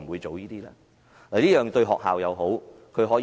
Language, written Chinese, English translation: Cantonese, 這樣做對學校也有好處。, This is also good for schools